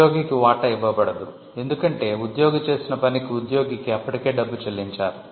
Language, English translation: Telugu, The employee is not given a share, because the employee was already paid for the work that the employee had done